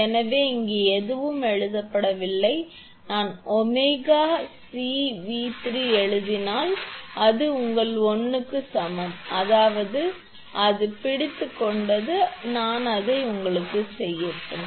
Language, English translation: Tamil, So, nothing is written here if I write omega C V 3 is equal to your I mean it is hold on, let me make it for you